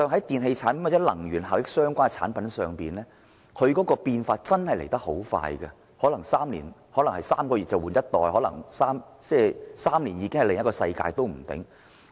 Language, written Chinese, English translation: Cantonese, 電器產品或與能源效益相關的產品變化很快，可能3個月便換一代 ，3 年已是另一個世界。, Electrical products or products related to energy efficiency evolved rapidly . A new generation may replace the old products within three months . A new world will emerge in three years time